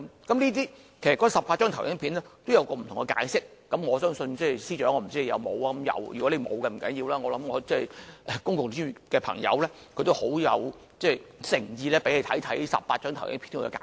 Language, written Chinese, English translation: Cantonese, 其實，那18張投影片都有不同解釋，我不知道司長有沒有看過，如果沒有，不要緊，我相信公共資源的朋友很有誠意給他看看這18張投影片的解釋。, I am not sure if the Secretary for Justice has read those 18 slides which contain many answers to different issues . It is fine if he has not because the Professional Commons will be very happy to explain the slides to him